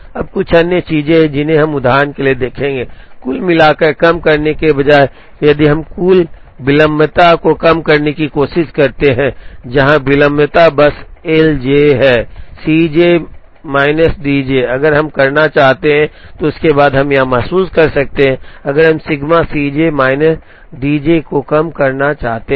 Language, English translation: Hindi, Now, there are a couple of other things, which we would look at for example, instead of minimizing total tardiness, if we try to minimize total lateness, where lateness is simply L j is C j minis D j, if we want to do that, then we could realize that, if we want to minimize sigma C j minus D j